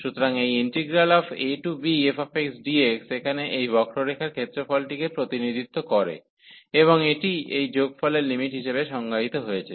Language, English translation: Bengali, So, this integral a to b f x dx represents the area under this curve here and this is defined as the limit of this sum